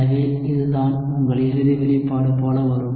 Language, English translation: Tamil, So, this is what your final expression will come like